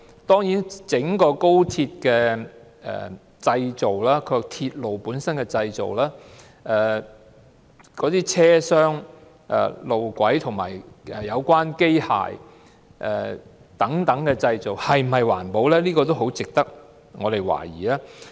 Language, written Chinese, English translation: Cantonese, 對於整條高鐵的建造、鐵路本身的製造、車廂、路軌和有關機械等製造是否環保，這點很值得市民懷疑。, Whether the construction of the whole Express Rail Link XRL and production of the railway itself the compartments tracks relevant machines etc . were environmentally - friendly is open to question